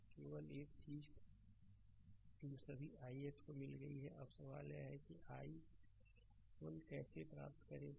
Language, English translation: Hindi, Now only only thing that all I x is got now question is i 1 how to get i 1 right